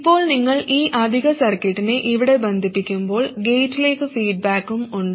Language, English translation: Malayalam, Now, when you connect this additional circuitry here, there is also feedback to the gate